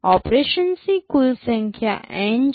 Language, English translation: Gujarati, Total number of operation is N